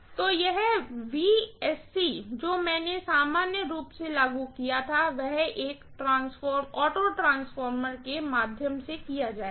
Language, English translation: Hindi, So, this Vsc what I applied normally done through, it will be done through an auto transformer